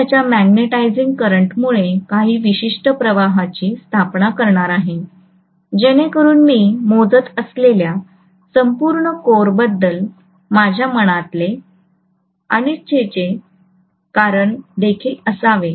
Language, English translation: Marathi, And I am going to have certain flux established because of his magnetising current so that should also be whatever is my reluctance of the entire core I calculate so on